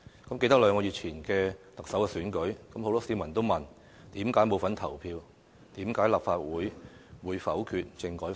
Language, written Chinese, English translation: Cantonese, 倘記得兩個月前的特首選舉，很多市民都問為何沒份投票，為何立法會否決了政改方案。, One should remember the Chief Executive election held two months ago and the fact that members of the public asked why they played no part in the voting process and why the Legislative Council vetoed the constitutional reform package